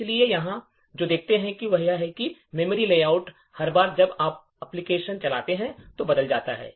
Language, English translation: Hindi, So, what we see over here is that the memory layout changes every time you run the application